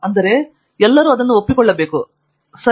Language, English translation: Kannada, That is, if everybody agrees to it, it is it